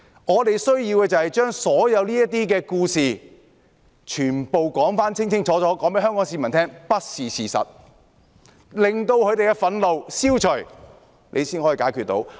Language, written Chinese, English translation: Cantonese, 我們需要的是將所有這些故事，全部清楚告訴香港市民，說明並不是事實，令他們的憤怒消除，這樣才解決得到。, What we need to do is to tell all these stories clearly to the people of Hong Kong explaining to them that they are not true so that their anger will subside and the problems can be solved